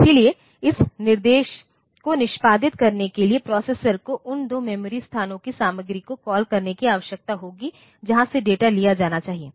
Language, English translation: Hindi, So, for executing this instruction the processor will need to get to call the contents of the 2 memory locations from where the data should be taken